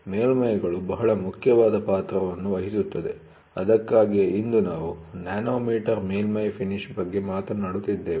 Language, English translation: Kannada, So, surfaces play a very very important role that is why today, we are talking about nanometer surface finish